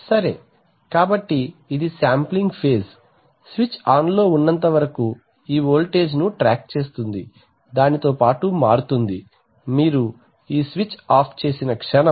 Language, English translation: Telugu, So that is the sampling phase as long as the switch is on this voltage is tracking this voltage, changing along with that, the moment you turn this switch off